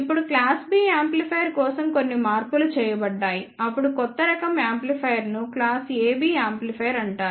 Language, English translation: Telugu, Now, there are few modifications made for the class B amplifier, then the new type of amplifier is called as the class AB amplifier